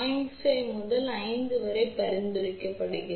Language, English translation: Tamil, 5 ohm to 5 ohm is recommended